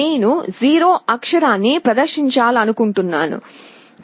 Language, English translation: Telugu, Let us say if I want to display the character 0